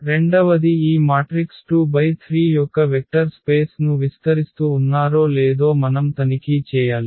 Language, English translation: Telugu, The second we have to check that they span the vector space of this matrices 2 by 3